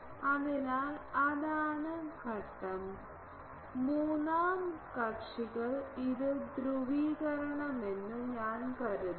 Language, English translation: Malayalam, So, that is phase and I think that third parties now sorry this is polarisation